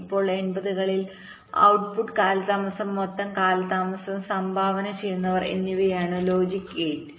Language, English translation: Malayalam, in the eighties the scenario was that most of the input to output delay, the total delay, the contributor was the logic gate, roughly this